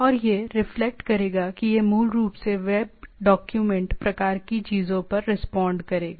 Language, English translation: Hindi, And it will reflect it will basically respond the web document to the things right